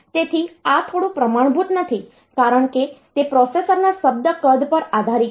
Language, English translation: Gujarati, So, this is a bit non standard because it depends on the word size of the processor